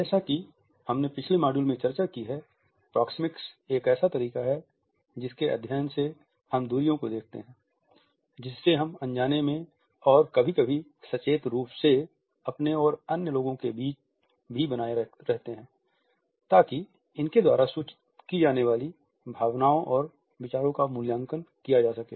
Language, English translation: Hindi, As we have discussed in the previous module proxemics is a way through which we look at the distances, we unconsciously and sometimes consciously also maintained between ourselves and the other people in order to assess the emotions and ideas which are communicated